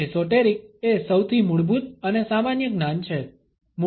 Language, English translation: Gujarati, Well, esoteric is most basic and common knowledge